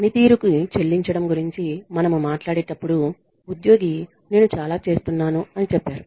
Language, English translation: Telugu, And when we talk about pay for performance employee says I am doing so much